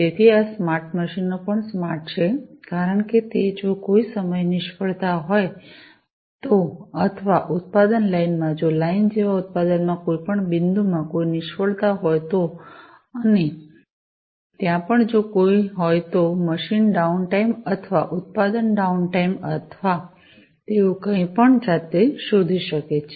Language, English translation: Gujarati, So, these smart machines are also smart because they can detect by themselves, if there is any failure at point of time, or in the production line, if there is any failure in any point in the production like line and also if there is any, machine downtime or, production downtime or anything like that